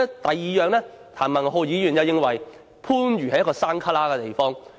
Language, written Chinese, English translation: Cantonese, 第二，譚文豪議員認為番禺是偏僻地方。, Secondly Mr Jeremy TAM thinks that Panyu is a remote area